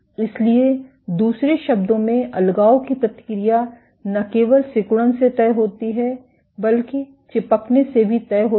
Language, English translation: Hindi, So, in other words the deadhesion response is not only dictated by contractility, but also dictated by adhesivity